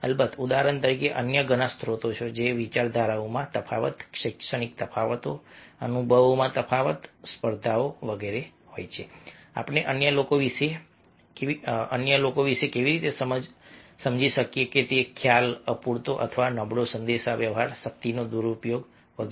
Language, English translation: Gujarati, of course there are many other sources, for example differences, ideology, educational differences, differences in experiences, competitions are their perception, how we perceive about others, inadequate or poor communication, misuse of power